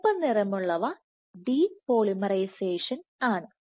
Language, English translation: Malayalam, There is red is depolymerization, so red